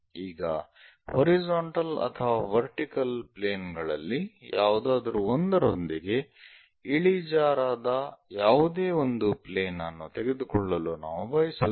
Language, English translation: Kannada, Now, we will like to take any other plane inclined either with vertical plane or horizontal plane